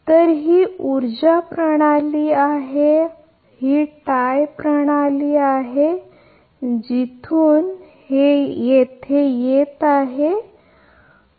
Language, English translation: Marathi, So, this is this is power system this is tie power we will see from where it is coming and this is delta P g 2 and this is minus delta your minus delta P 2, right